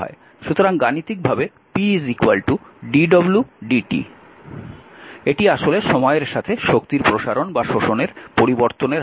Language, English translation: Bengali, So, mathematically p is equal to dw by dt, it is actually your what you call that is a time rate of a expanding or absorbing energy